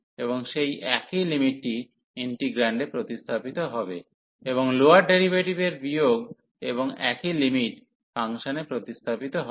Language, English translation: Bengali, And that same limit will be substituted in the integrand, and minus the lower the derivative of the lower limit and the same limit will be substituted into the function